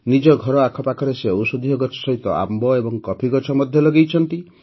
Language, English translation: Odia, Along with medicinal plants, he has also planted mango and coffee trees around his house